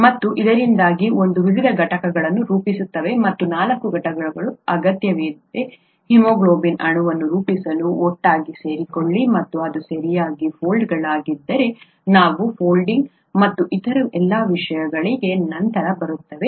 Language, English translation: Kannada, And because of this it forms various units and four units need to come together to form haemoglobin molecule and if its folds correctly, weÕll come to all these things later, the folding and so on